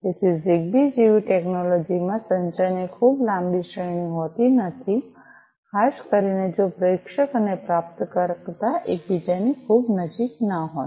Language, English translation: Gujarati, So, technologies such as ZigBee do not have too much long range of communication particularly if the sender and the receiver are not too much close to each other